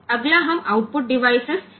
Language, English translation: Hindi, So, next we look into output device